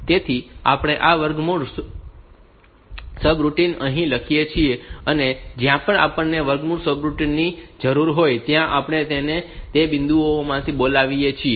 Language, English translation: Gujarati, So, we write this square root routine here, and wherever we need this square root routine, we call it from those points